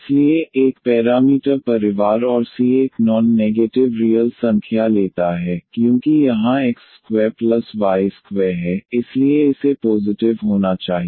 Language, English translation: Hindi, So, one parameter family and the c takes a non negative real numbers, because here x square plus y square so it has to be positive